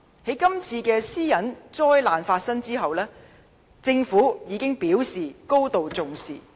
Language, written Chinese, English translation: Cantonese, 在今次私隱災難發生後，政府已表示高度重視。, After the outbreak of the disastrous data breach the Government already expressed deep concern about the matter